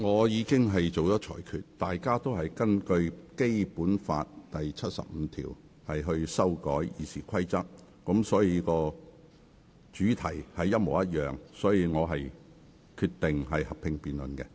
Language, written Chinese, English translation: Cantonese, 由於所有擬議決議案均是根據《基本法》第七十五條提出修改《議事規則》，因此屬同一主題，因此我決定進行合併辯論。, Given that all the proposed resolutions are moved under Article 75 of the Basic Law to amend RoP they do have the same subject and I therefore decided to conduct a joint debate